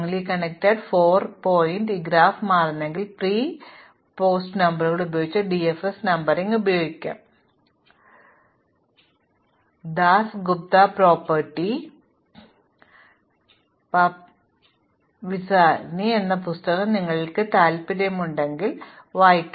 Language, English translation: Malayalam, So, this graph has 4 strongly connected components, now it turns out that DFS numbering using pre and post numbers can be used compute strongly connect components a very elegant algorithm is given in the book by Dasgupta Papadimitriou and Vazirani and if you are interested you can look it up in that book